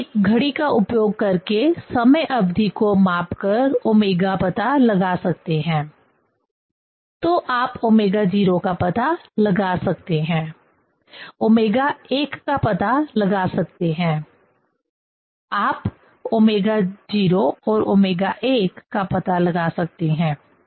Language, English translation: Hindi, Omega one can find out measuring the time period using the clock; so one can find out the omega 0, one can find out the omega 1; one can find out omega 0 and omega 1